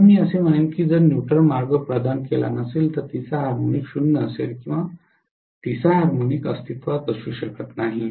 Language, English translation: Marathi, So I would say if neutral path is not provided, then third harmonic is 0 or third harmonic cannot exist